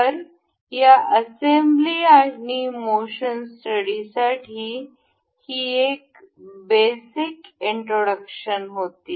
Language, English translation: Marathi, So, this was a very basic of introduction for this assembly and motion study